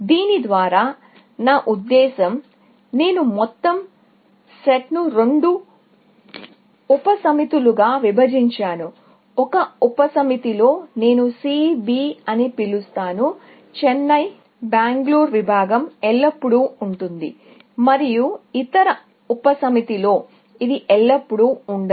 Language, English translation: Telugu, By this, I mean, I have portioned the whole set into two subsets; in one subset, which I call C B; the Chennai Bangalore segment will always be present; and in the other subset, it will always be absent, essentially